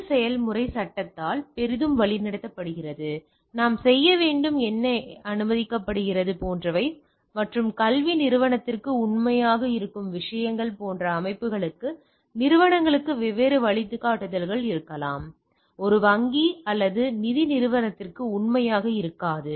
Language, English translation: Tamil, This process is heavily guided by law like what we have to do and what are allowed etcetera and there can be different guidelines from the organisation to organisations like the type of things which is true for academic organisation may not be true for a banking or financial organisation